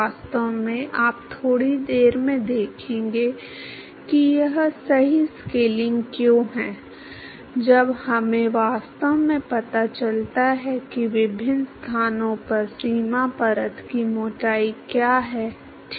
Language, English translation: Hindi, In fact, you will see in a short while why that is the correct scaling, when we actually find out what is the boundary layer thickness at different locations, ok